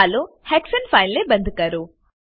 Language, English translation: Gujarati, Lets close the hexane file